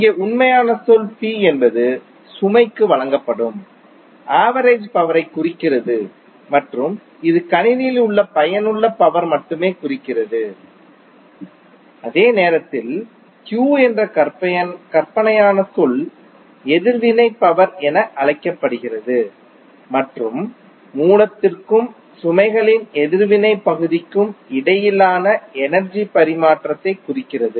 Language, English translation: Tamil, So here the real term is P which represents the average power delivered to the load and is only the useful power in the system while the imaginary term Q is known as reactive power and represents the energy exchange between source and the reactive part of the load